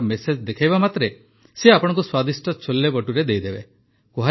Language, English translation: Odia, As soon as you show the vaccination message he will give you delicious CholeBhature